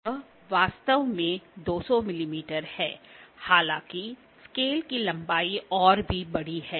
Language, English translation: Hindi, It is actually 200 mm; however, the length of the scale is even larger